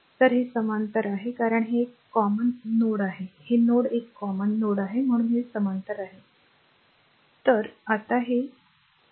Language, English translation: Marathi, So, this because there in parallel, because this is a this is your common node this node is a common node so, they are in parallel right; so let me clean it right